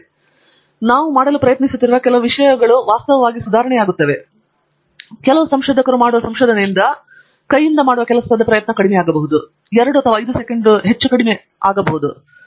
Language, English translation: Kannada, Some other times we may step back and say that no, some of the thing that I am trying to do is actually to improve, may be make less effort for some manual work, may be to take something in 2 seconds, what used to take longer time